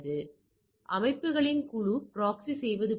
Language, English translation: Tamil, So, as if it proxies for group of systems